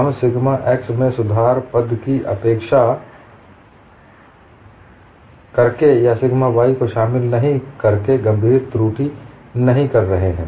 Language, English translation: Hindi, We are not making serious error, by neglect the correction term to sigma x, or not incorporating sigma y, and another aspect also you can keep in mind